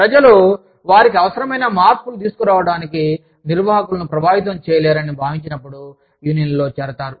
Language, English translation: Telugu, People join unions, when they feel, they lack influence with management, to make the needed changes